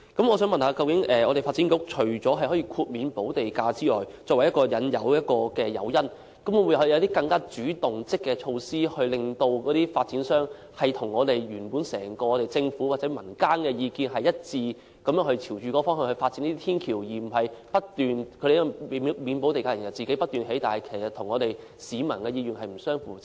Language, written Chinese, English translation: Cantonese, 我想問發展局，除了以豁免補地價提供誘因之外，究竟會否採取一些更主動和積極的措施，令發展商與整個政府或民間的意見一致，然後朝着這方向發展天橋，而不是豁免補地價之後讓發展商不斷興建天橋，但卻與市民的意願不相符。, May I ask the Development Bureau apart from providing waiver of land premium as an incentive whether it will adopt more proactive and positive measures to ensure that the developers views are consistent with those of the Government or the community at large and then develop footbridges in this direction rather than waiving the land premium and giving the developers a free hand to continuously construct footbridges not in line with the wish of the people?